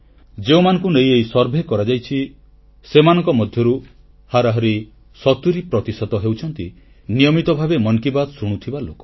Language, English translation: Odia, Out of the designated sample in the survey, 70% of respondents on an average happen to be listeners who regularly tune in to ''Mann Ki Baat'